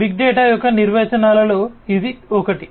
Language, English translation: Telugu, This is as per one of these definitions of big data